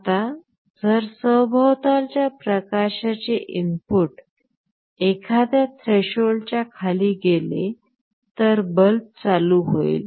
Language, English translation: Marathi, Now, if the ambient light input falls below a threshold, the bulb will turn on